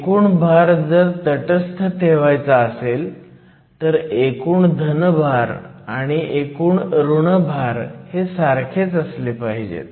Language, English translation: Marathi, In order to maintain the neutrality of charge, this total positive charge must be equal to the total negative charge